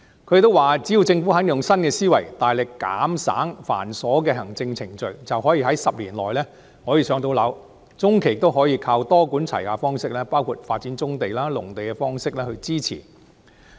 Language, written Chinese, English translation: Cantonese, 他們說只要政府肯用新思維，減省繁瑣的行政程序，便可以在10年內建成房屋，中期亦可多管齊下，發展棕地、農地以增加土地。, According to them as long as the Government is willing to adopt a new way of thinking and streamline cumbersome administrative procedures housing projects can be completed well within 10 years . In the medium run a multi - pronged approach can be adopted to develop brownfield sites and agricultural land to increase land supply